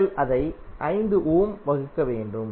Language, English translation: Tamil, You have to simply divide it by 5 ohm